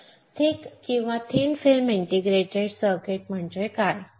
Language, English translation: Marathi, So, what are thin and thick film integrated circuits